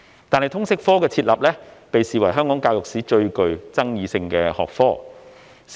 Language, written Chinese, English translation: Cantonese, 然而，通識科被視為香港教育史上最具爭議性的學科。, However the subject of LS is considered the most controversial one in the history of education in Hong Kong